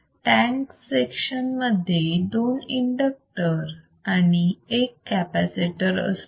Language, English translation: Marathi, The tank section consistts of two inductors; you see two inductors and one capacitor